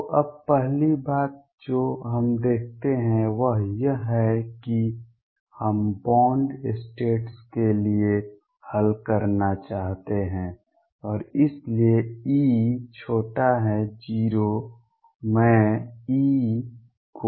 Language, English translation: Hindi, So, now first thing we notice is we want to solve for bound states, and therefore E is less than 0 I am going to write E as minus modulus of E